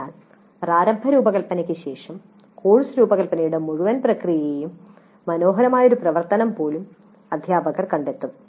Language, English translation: Malayalam, So after the initial design the teacher would even find the entire process of course design a pleasant activity